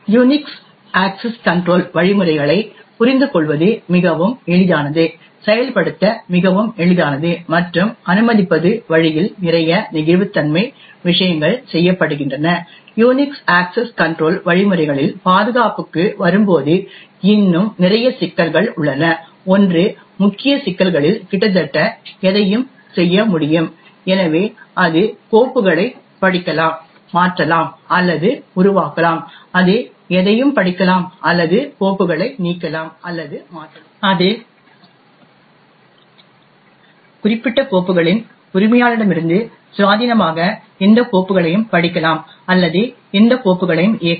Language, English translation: Tamil, While the Unix access control mechanisms are quite easy to understand, quite easy to implement and permits are lots of flexibility in the way, things are done, there are still a lot of problems in the Unix access control mechanisms when it comes to security, one of the main problems is that the root can do almost anything, so it can read and modify or create files, it can read any or it can delete or modify files, it can read or execute any files, independent of the owner of those particular files